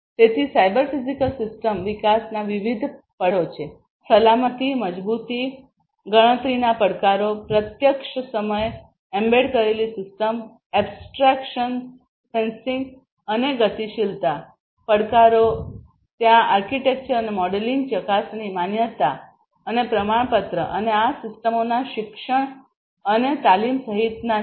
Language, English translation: Gujarati, So, there are different challenges of cyber physical system development; challenges with respect to safety, security, robustness, computational challenges real time embedded system abstractions sensing and mobility challenges are there architecture and modeling verification validation and certification and including education and training of these systems